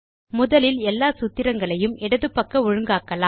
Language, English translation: Tamil, Let us first align all the formulae to the left